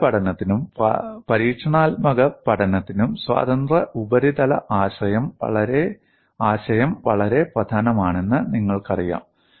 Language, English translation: Malayalam, The concept of free surface is very important both for numerical studies as well as experimental studies